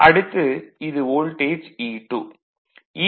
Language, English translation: Tamil, So, this is my E 2